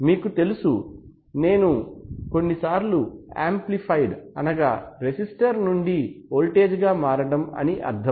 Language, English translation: Telugu, And sometimes you know I mean amplified sometimes the conversion from resistance to voltage